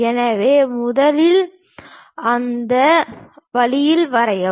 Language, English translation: Tamil, So, first draw that one in that way